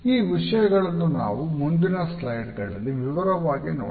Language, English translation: Kannada, These aspects we would take up in detail in the next few slides